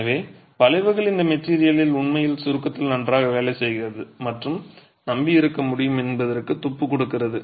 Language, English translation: Tamil, So, arches are something that give clue to the fact that this material really works well in compression and can be relied upon